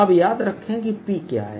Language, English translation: Hindi, now remember what p is